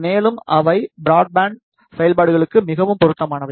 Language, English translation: Tamil, And, they are more suitable for broadband operations